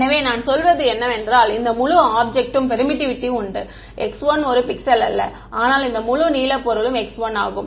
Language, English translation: Tamil, So, what I am saying is that this entire object has permittivity x 1 not one pixel, but this entire blue object is x 1